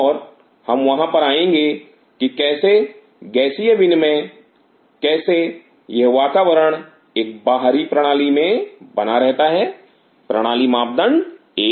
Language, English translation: Hindi, And we will come to that how the gaseous exchange how this milieu is being maintained in a system outside the system parameter one